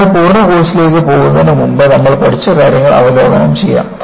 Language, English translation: Malayalam, As a full course, before we get on to the full course, let us, review what we have learnt